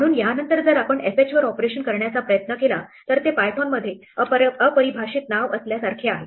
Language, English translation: Marathi, So, after this if we try to invoke operation on fh it is like having undefined name in python